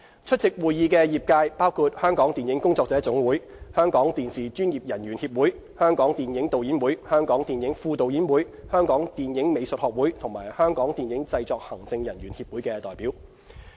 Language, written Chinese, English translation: Cantonese, 出席會議的業界包括香港電影工作者總會、香港電視專業人員協會、香港電影導演會、香港電影副導演會、香港電影美術學會及香港電影製作行政人員協會的代表。, Industry participants included representatives of the Federation of Hong Kong Filmmakers the Hong Kong Televisions Association the Hong Kong Film Directors Guild the Hong Kong Film Assistant Directors Association the Hong Kong Film Arts Association and the Hong Kong Movie Production Executives Association